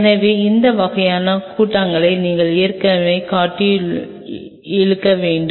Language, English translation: Tamil, So, you needed to have those kinds of assemblies already in built into it